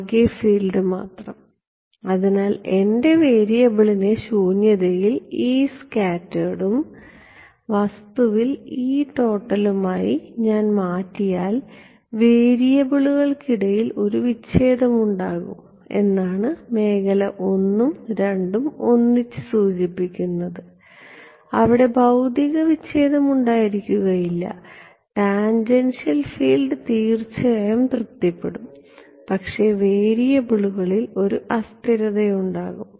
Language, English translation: Malayalam, Only total field; so, I and II together imply that there is a discontinuity that will happen if I make my variable to be E scattered in vacuum and E total in the object, there is there will be a discontinuity of the variables, there is no physical discontinuity the tangential field will be of course, be satisfied, but there is a discontinuity in the variables